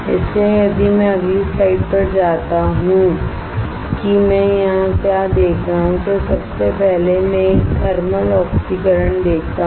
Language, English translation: Hindi, So, if I go to the next slide what I see here is first is I see a thermal oxidation